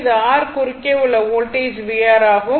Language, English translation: Tamil, And this is your v R voltage across R